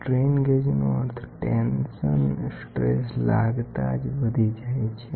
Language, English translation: Gujarati, The resistance of a strain gauge increases with when put under tensile stress can be tensile compression